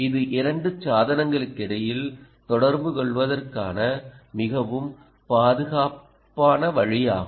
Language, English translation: Tamil, it's a very secure way of communicating between two devices